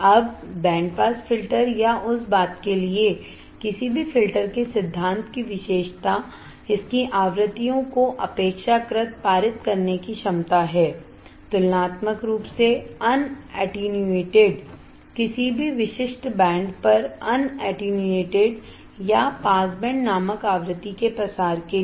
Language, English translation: Hindi, Now, the principle characteristic of band pass filter or any filter for that matter is its ability to pass frequencies relatively, un attenuated relatively, un attenuated over a specific band or spread of frequency called pass band and attenuate the other band of frequency called stop band, we have seen this